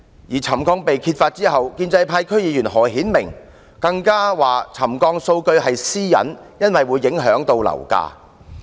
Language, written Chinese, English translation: Cantonese, 在沉降問題被揭發後，建制派區議員何顯明更稱沉降數據屬私隱，因為會影響樓價。, After the ground settlement had been exposed pro - establishment DC member HO Hin - ming even asserted that the data on settlement should be treated as privacy since property prices would be affected